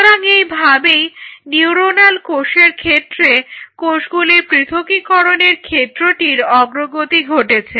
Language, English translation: Bengali, So, this is how this, this area of cell separation in terms of the neuronal cell has progressed